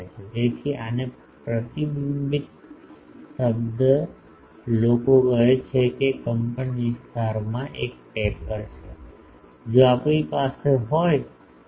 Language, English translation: Gujarati, So, this in reflected term people call it there is a taper in the amplitude, if we have these